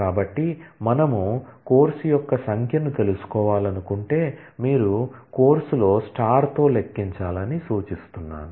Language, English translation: Telugu, So, from if we want to find out the number of course, you suggest to count star on course